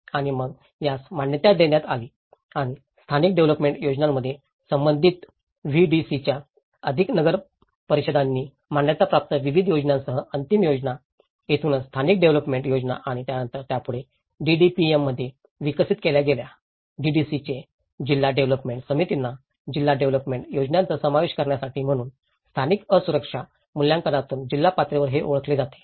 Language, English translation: Marathi, And then these are agreed and the final plans with various endorsed by the respective VDC's plus municipal councils in the local development plans, this is where the local development plans and then these are further developed into DDP’s; DDC’s; district development committees for inclusion in to do district development plans so, this is how from a local vulnerability assessments, this has been identified at the district level aspect